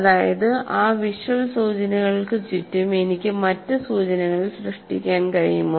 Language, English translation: Malayalam, That means, can I create some kind of other clues around that, visual clues